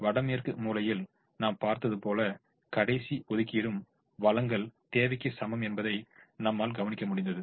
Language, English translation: Tamil, as we saw in the north west corner, the last allocation, we will observe that the supply is equal to the demand